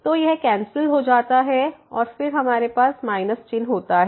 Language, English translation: Hindi, So, this gets cancelled and then we have with minus sign